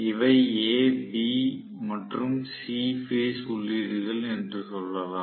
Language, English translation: Tamil, Let us say these are a, b, and c phase inputs